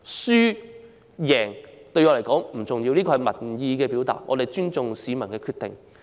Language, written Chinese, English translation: Cantonese, 輸贏對我來說不重要，這是民意的表達，我們尊重市民的決定。, Winning or losing is not a big deal to me; the result represents public opinion and we respect the decisions of the people